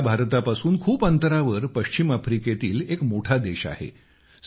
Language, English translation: Marathi, Mali is a large and land locked country in West Africa, far from India